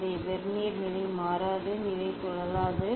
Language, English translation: Tamil, this Vernier will not change the position will not rotate